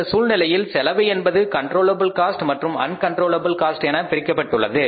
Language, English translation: Tamil, So, in this case the costs are bifurcated or known as controllable cost and uncontrollable cost